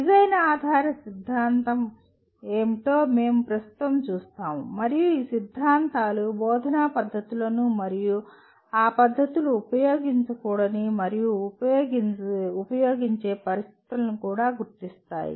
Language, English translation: Telugu, We will presently see what a design oriented theory is and these theories will also identify methods of instruction and the situations in which those methods should and should not be used